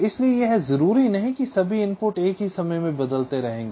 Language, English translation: Hindi, so it is not necessarily true that all the inputs will be changing state at the same time